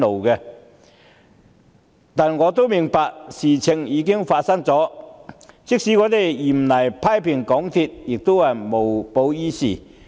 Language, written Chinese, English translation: Cantonese, 然而，我明白事情已經發生，即使嚴厲批評港鐵公司亦無補於事。, Nevertheless I understand that making harsh criticisms of MTRCL will get us nowhere since the incidents have already happened